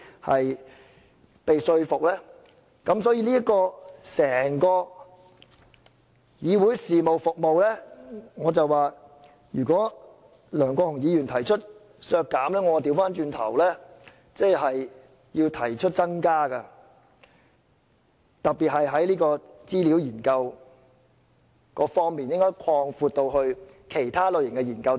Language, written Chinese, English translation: Cantonese, 因此，梁國雄議員提出削減整個議會事務服務的預算開支，我會倒過來提出增加，特別是在資料研究方面，我認為應該擴闊至其他類型的研究。, Therefore in contrast to Mr LEUNG Kwok - hungs proposed amendments to deduct the estimated expenditure of the Council Business services as a whole I would like to propose an increase in the expenditure particularly the expenditure on conducting researches which I believe should be expanded to cover studies of other categories